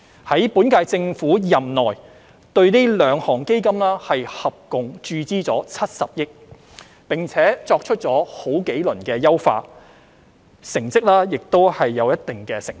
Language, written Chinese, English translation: Cantonese, 在本屆政府任內，對這兩項基金合共注資了70億元，並作出了多輪優化，成績亦有一定成效。, During the term of the current Government these two funds have achieved certain effects through the injection of a total of 7 billion and several rounds of enhancement